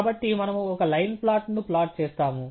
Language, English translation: Telugu, So, we will plot a line plot